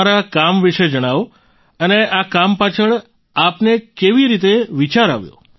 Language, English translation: Gujarati, Tell us about your work and how did you get the idea behind this work